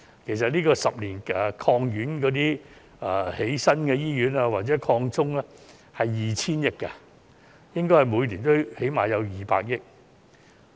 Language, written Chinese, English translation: Cantonese, 其實，十年醫院發展計劃的資源有 2,000 億元，應該每年最少有200億元經費。, As a matter of fact with 200 billion earmarked for the 10 - year Hospital Development Plan there should be a funding of at least 20 billion each year